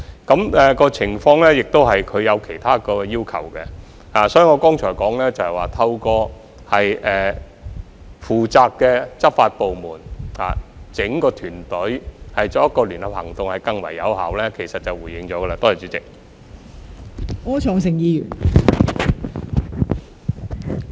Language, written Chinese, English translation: Cantonese, 引用這項條例亦涉及其他要求，所以我剛才說，透過負責的執法部門，由整個團隊採取聯合行動更為有效，便已回應了陳議員的補充質詢。, The invocation of this Ordinance also involves other requirements . For this reason I had already replied to Mr CHANs supplementary question when I said just now that it is more effective for an entire team of enforcement agencies to take joint actions